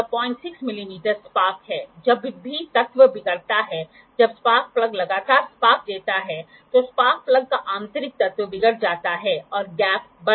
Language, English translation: Hindi, 6 mm is sparks, whenever the element deteriorates, when the spark plug gives the sparks continuously the inner element of the spark plug deteriorates and the gap increases